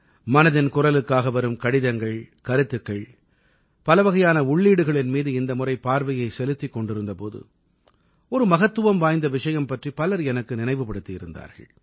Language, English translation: Tamil, This time when I was perusing the letters, comments; the varied inputs that keep pouring in for Mann ki Baat, many people recalled a very important point